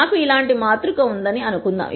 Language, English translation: Telugu, Let us assume that I have a matrix such as this